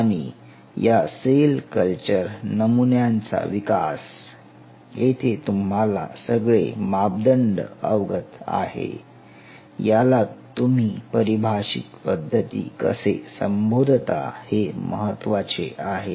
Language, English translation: Marathi, And the development of these kind of cell culture models where all the parameters are known, all the steps are known, how you do it are termed as the defined systems